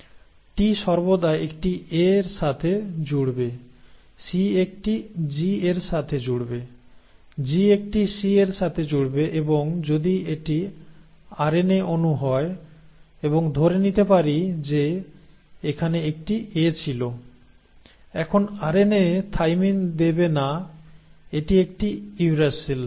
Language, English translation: Bengali, T will always pair with an A, C will pair with a G, G will pair with a C and if it is an RNA molecule and let us say there was an A here; now RNA will not give thymine it will give a uracil